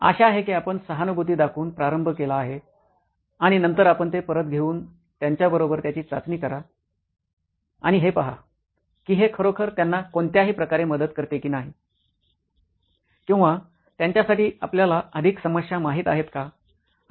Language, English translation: Marathi, Hopefully the one that you started out with empathising and then you take it back and test it with them and to see if it actually helps them in any way, or is it increasing you know more problems for them